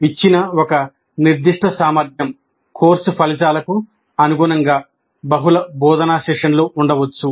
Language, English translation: Telugu, And corresponding to one particular given competency or course outcome, there may be multiple instruction sessions